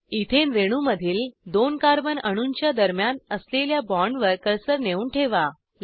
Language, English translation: Marathi, Place the cursor on the bond between two carbon atoms in the Ethane molecule